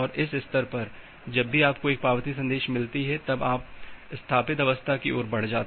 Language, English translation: Hindi, At this stage, whenever you are getting an acknowledgement message, you are moving towards the established state